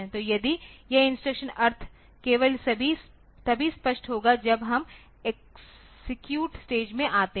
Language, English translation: Hindi, So, if this because this instructions meaning will be clear only when we come to the execute phase ok